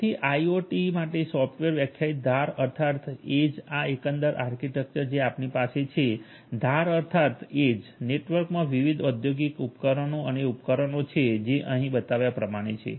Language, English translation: Gujarati, So, a software defined edge for a IIoT this is the overall architecture you have different industrial devices and equipments in the edge network like the ones that are shown over here